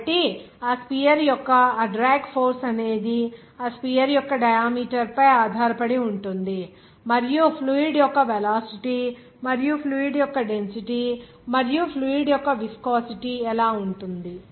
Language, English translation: Telugu, So that drag force actually of that sphere is depending on the diameter of that sphere and also how what is the velocity of the fluid and also the density of the fluid and also the viscosity of the fluid